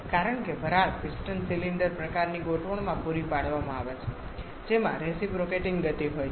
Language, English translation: Gujarati, Because the steam is supplied to a piston cylinder kind of arrangement which has a reciprocating motion there